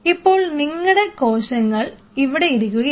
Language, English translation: Malayalam, Now you are cells are sitting out here